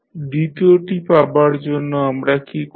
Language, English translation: Bengali, Now, to obtain the second one what we do